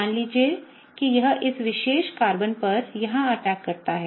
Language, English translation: Hindi, Suppose that it attacks here, on this particular Carbon